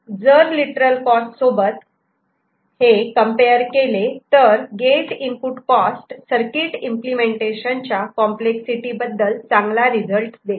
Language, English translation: Marathi, So, compared to literal cost, gate input cost gives a better appreciation of the complexity of the circuit that is getting implemented